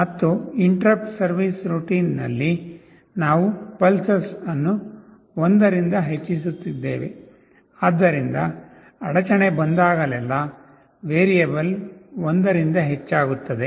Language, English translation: Kannada, And in the interrupt service routine, we are just increasing “pulses” by 1; so that whenever interrupt comes the variable gets incremented by 1